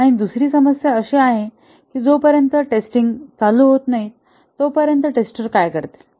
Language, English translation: Marathi, And the other problem is that what do the testers do till the testing phase starts, what do they do